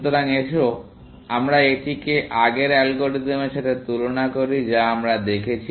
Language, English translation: Bengali, So, let us compare this with the earlier algorithm we have seen